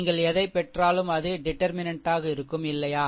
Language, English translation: Tamil, And whatever you will get that will be your determinant, right